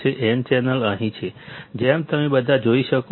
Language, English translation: Gujarati, n channel is here, as you all can see